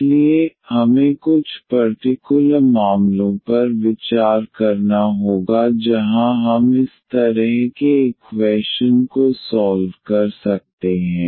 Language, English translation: Hindi, So, we will have to consider some special cases where we can solve such a equation